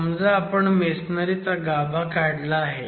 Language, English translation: Marathi, Let's say you extract masonry cores